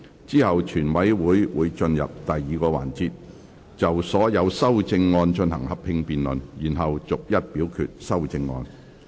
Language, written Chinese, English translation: Cantonese, 之後全委會會進入第二個環節，就所有修正案進行合併辯論，然後逐一表決修正案。, Committee will then move on to the second session to conduct a joint debate on all the amendments and then vote on the amendments seriatim